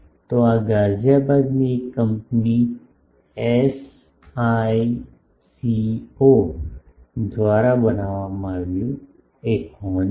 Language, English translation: Gujarati, So, this is a horn made by SICO one of the Ghaziabad companies